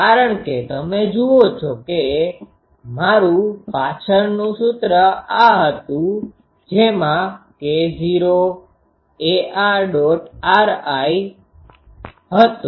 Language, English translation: Gujarati, Because, you see my previous expression was this is k not ar dot r i